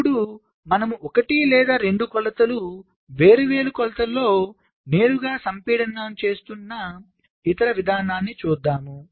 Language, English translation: Telugu, now let us look at the other approach where, directly, you are doing compaction in the different dimensions, either one or two dimensions